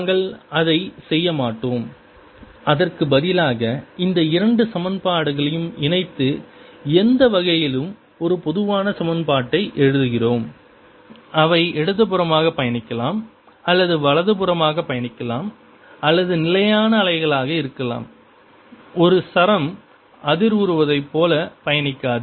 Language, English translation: Tamil, instead, we combine this two equation, write a generally equation for any way which is travelling to the left or travelling to the right of the stationary wave not travelling at all, like a string vibrating